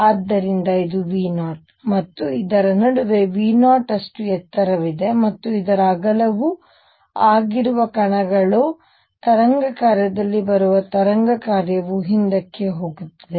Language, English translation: Kannada, So, this is V 0, and in between there is a height V 0 and the width of this is a then the particles which are coming in have the wave function coming in wave function going back